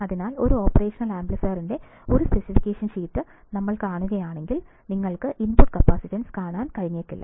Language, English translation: Malayalam, So, when we see a specification sheet of an operational amplifier, you may not be able to see the input capacitance